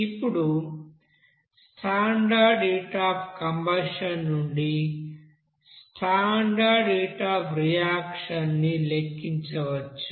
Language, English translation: Telugu, So based on this you know standard heat of combustion you have to calculate what will be the standard heat of reaction